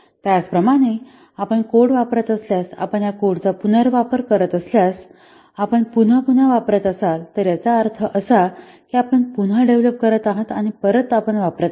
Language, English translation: Marathi, Similarly, if you are using code, if you are what are using this code reusing, if you are following code reusing, that means you have developed one and again and again you are using